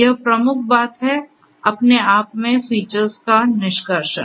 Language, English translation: Hindi, This is the key thing, extraction of features on its own